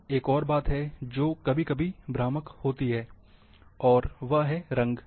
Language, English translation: Hindi, Now, another thing is which is sometimes misleading is also, the colours